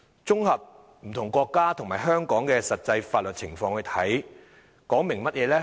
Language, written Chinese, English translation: Cantonese, 綜合不同國家和香港的實際法律情況，這說明了甚麼呢？, If we sum up the actual legal situations in various countries and Hong Kong what do they tell us?